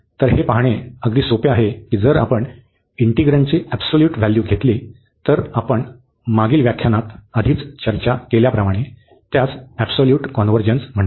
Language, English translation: Marathi, So, here it is rather easy to see that if we take given the absolute value of the integrand, and we have discussed already in the last lecture, which is called the absolute convergence